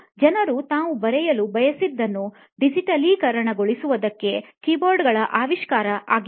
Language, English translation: Kannada, The invention of keyboards was so as or so that people could digitize what they wanted to write